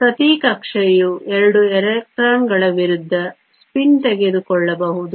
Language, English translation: Kannada, Each orbital can take 2 electrons of opposite spin